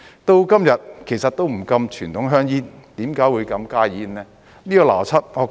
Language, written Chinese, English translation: Cantonese, 到了今日也不禁傳統香煙，為何會禁加熱煙呢？, As conventional cigarettes have not yet been banned so far why should HTPs be banned?